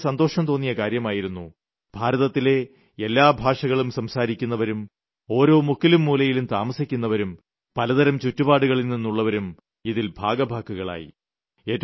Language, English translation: Malayalam, And this was a matter of joy for me that people speaking all the languages of India, residing in every corner of the country, hailing from all types of background… all of them participated in it